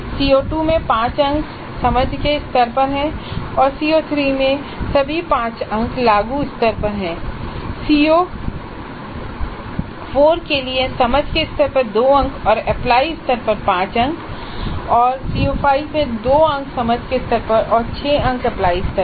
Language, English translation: Hindi, For CO2 all the 5 marks are at understand level and for CO3 all the 5 marks are at apply level and for CO4 2 marks are at understand level and 5 marks are at apply level and for CO5 2 marks at understand level and 6 marks at apply level